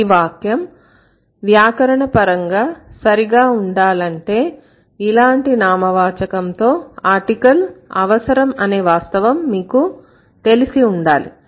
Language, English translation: Telugu, To like to get a grammatically correct sentence, you should be aware about the fact that with this kind of a noun we would need an article